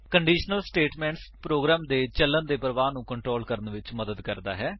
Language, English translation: Punjabi, A conditional statement helps to control the flow of execution of a program